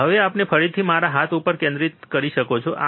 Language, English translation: Gujarati, Now, we can focus again on my hand, yes